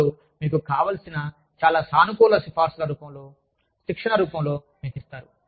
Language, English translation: Telugu, Some give this to you, in the form of very positive recommendations, in the form of training, that you want